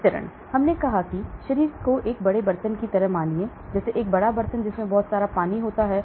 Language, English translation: Hindi, Distribution we said the body is like a big vessel, like a big pot containing lot of water